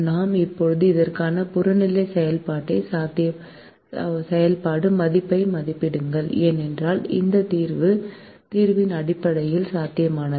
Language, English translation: Tamil, we now evaluate the objective function value for this, because this solution is basic, feasible